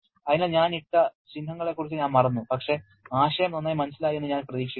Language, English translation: Malayalam, So, that I actually forgot about the symbols that I have put in but the idea is I hope is well conveyed to